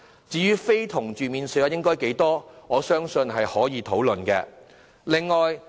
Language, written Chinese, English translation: Cantonese, 至於實際的免稅數額，我相信可有討論的空間。, As for the actual amount of the allowance I believe there should be room for negotiation